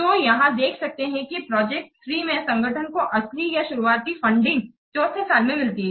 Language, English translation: Hindi, So here you can see that project 3 where the organization receives the original or the initial funding it is during year four